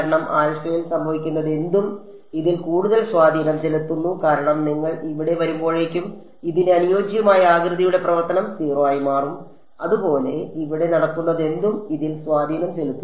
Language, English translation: Malayalam, Whatever is happening at alpha has more influence on this because the way the shape function corresponding to this becomes 0 by the time you come over here, similarly whatever is happening over here has no influence on this